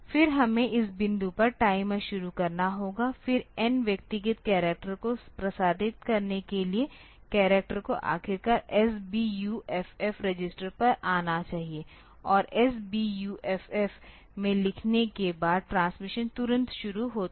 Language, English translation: Hindi, Then this we have to start the timer at this point, then for transmitting individual characters the character should finally, come to the SBUFF register and after doing that after writing into SBUFF the transmission starts immediately